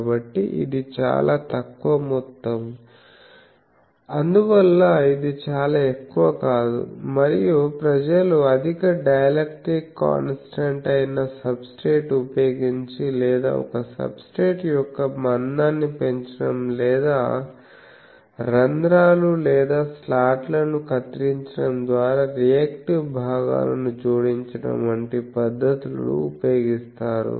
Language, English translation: Telugu, So, it is a very small amount, so that is why it is not much and there are methods by which people use using higher dielectric constant substrate or increasing the thickness of the a substrate or cutting holes or slots into the or adding reactive components etc